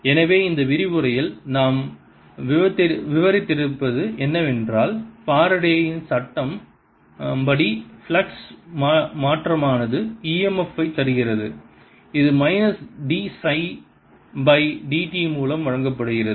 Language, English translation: Tamil, so what we have covered in this lecture is that change in flux by faradays law gives e, m, f, which is given as minus d phi by d